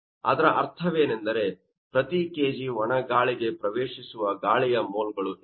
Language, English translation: Kannada, What does it mean that per kg mole of dry air that will contain you know 0